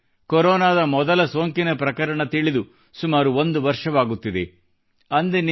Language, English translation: Kannada, It has been roughly one year since the world came to know of the first case of Corona